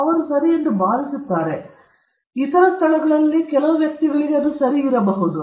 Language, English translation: Kannada, They think that it is ok and which may not be ok in certain other places or certain other individuals